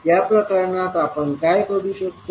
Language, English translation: Marathi, So in this case, what we will do